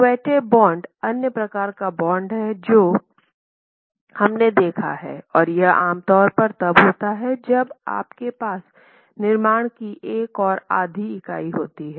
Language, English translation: Hindi, Quetta bond is the other type that we had seen and this is typically when you have one and a half unit construction